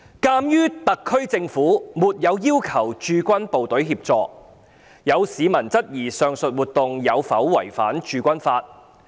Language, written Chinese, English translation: Cantonese, 鑒於特區政府沒有要求駐港部隊協助，有市民質疑上述活動有否違反《駐軍法》。, As the SAR Government had not sought assistance from the HK Garrison some members of the public queried whether the aforesaid activity had violated the Garrison Law